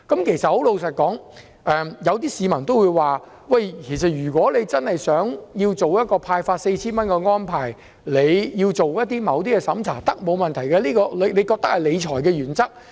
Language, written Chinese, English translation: Cantonese, 老實說，有些市民也說，如果政府真的想做到派發 4,000 元的安排，因而要進行一些審查，沒有問題，因為政為認為這是理財原則。, Frankly speaking some members of the public said that if the Government wanted to implement this arrangement of disbursing 4,000 and as a result it had to carry out assessments this would be fine as the Government believed in this principle of fiscal management